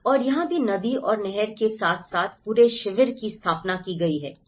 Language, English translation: Hindi, And even here, the whole camp have set up along with the river along with the canal and the rivers